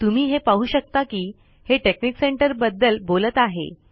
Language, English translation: Marathi, You can see that it talks about texnic center